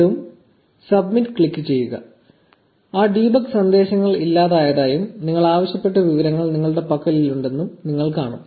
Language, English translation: Malayalam, Click submit again and you will see that those debug messages are gone and you have the information you asked for